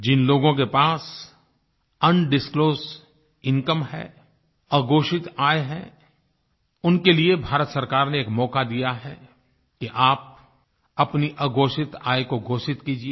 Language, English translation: Hindi, To the people who have undisclosed income, the Government of India has given a chance to declare such income